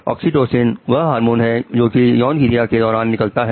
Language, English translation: Hindi, Oxytocin is a hormone which is released during sexual activity